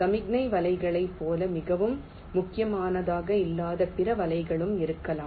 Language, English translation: Tamil, and there can be other nets which are not so critical like the signal nets